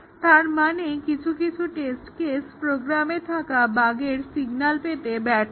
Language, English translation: Bengali, That means, some test cases fail signaling that a bug has been introduced in the program